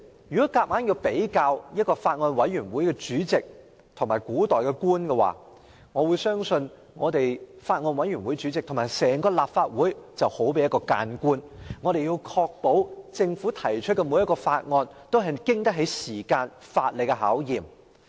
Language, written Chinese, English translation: Cantonese, 如果一定要將法案委員會主席與古代官員比較的話，我相信法案委員會主席就好比一名諫官，必須確保政府提交的每項法案均經得起時間和法理考驗。, If I must draw an analogy between the Chairman of a Bills Committee and an ancient Chinese official I would say the Chairman of a Bills Committee is like a remonstrance official for he or she must ensure that every bill introduced by the Government can stand the test of time and is legally sound